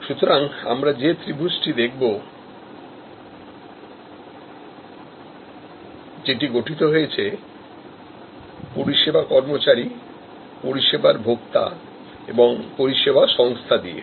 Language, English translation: Bengali, So, again we will look at the triangle, the triangle constituted by service employees, service consumers and service organizations